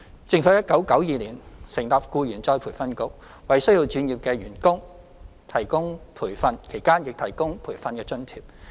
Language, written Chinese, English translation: Cantonese, 政府在1992年成立僱員再培訓局，為需要轉業的員工提供培訓，其間亦提供培訓津貼。, In 1992 the Employees Retraining Board ERB was established to offer training and training allowance to employees who need to switch to other trades